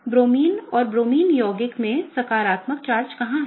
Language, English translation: Hindi, So, where is the positive charge in Bromine and Bromine compound, right